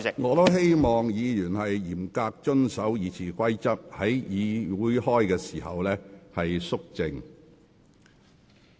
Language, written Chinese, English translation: Cantonese, 我也希望議員嚴格遵守《議事規則》，在會議過程中保持肅靜。, I also hope that Members will strictly comply with RoP and remain silent throughout the meeting